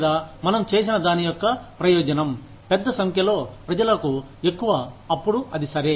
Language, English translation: Telugu, Or, the utility of whatever we have done, is higher for a larger number of people, then it is okay